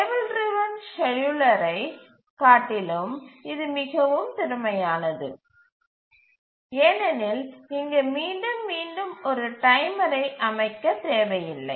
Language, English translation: Tamil, It is more efficient even than a table driven scheduler because repeatedly setting a timer is not required here